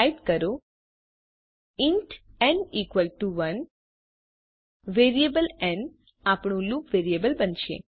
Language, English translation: Gujarati, Type int n equalto 1 n is going to be loop variable